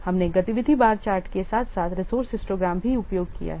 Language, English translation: Hindi, We have also used the activity bar chart as well as resource histograms